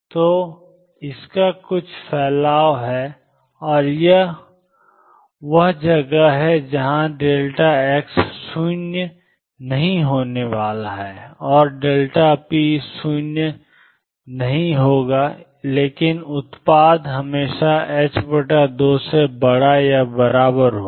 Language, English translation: Hindi, So, it has some spread and this is where delta x is not going to be 0, and delta p is not going to be 0, but the product will always be greater than or equal to h cross by 2